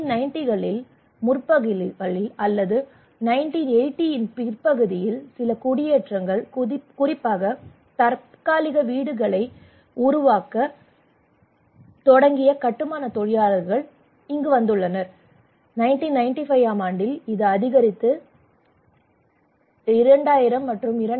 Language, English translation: Tamil, In 1990 in the early 1990s or late 1980s some settlements have come especially the construction workers they started to build temporary houses, in 1995 that is also increasing you can see again 2000, 2005, and 2013